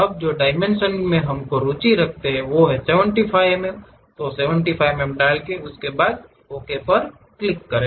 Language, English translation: Hindi, Now, whatever the dimensions we are interested in 75 units mm, then click Ok